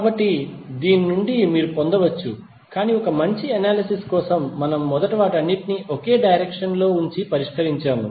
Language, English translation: Telugu, So from this you can get but for better analysis we first keep all of them in one direction and solve it